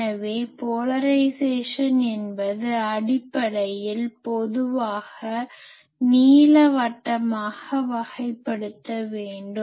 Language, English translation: Tamil, So, polarisation it basically most generally; it should be classified as elliptical